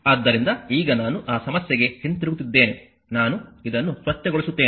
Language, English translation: Kannada, So, now I am going back to that problem, let me clean this